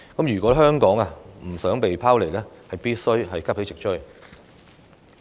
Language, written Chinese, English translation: Cantonese, 如果香港不想被拋離，便須急起直追。, Hong Kong must work very hard to catch up if we do not want to lag behind